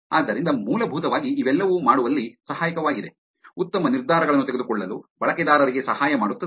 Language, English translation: Kannada, So, essentially all of this is helpful in making the, helping the users to make better decisions